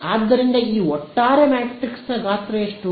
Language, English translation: Kannada, So, this overall matrix is the what size